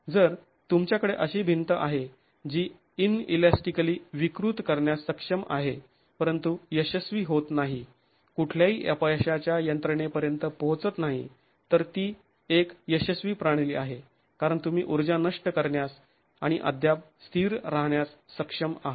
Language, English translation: Marathi, If you have a wall that is capable of deforming inelastically but not failing, not reaching any failure mechanism, that is a successful system because you are able to dissipate energy and yet remain stable for